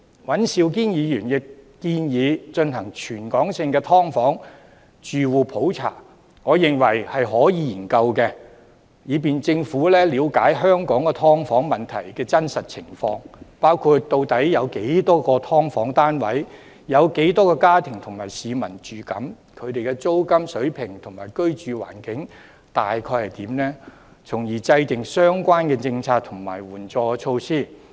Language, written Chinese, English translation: Cantonese, 尹兆堅議員亦建議進行全港性"劏房"住戶普查，我認為可以研究，以便政府了解香港"劏房"問題的真實情況，包括"劏房"單位數目、住戶數目和居住人口，以及"劏房"的租金水平和居住環境的概況，從而制訂相關政策和援助措施。, Mr Andrew WAN also has proposed conducting a territory - wide annual survey on households of subdivided units . I consider that a study can be carried out so that the Government can find out the realistic conditions of the problem of subdivided units in Hong Kong including the number of subdivided units number of households and number of occupants as well as an overview of the rental levels and living environment of subdivided units thereby drawing up relevant policies and assistance measures